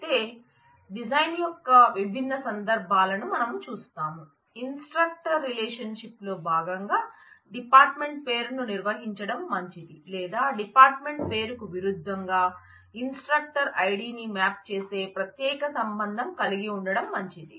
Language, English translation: Telugu, But we will see the different cases when which style of design, whether we would be better to maintain the department name as a part of the instructor relation or it would be better not to have it there and have a separate relation which maps instructor id against the department name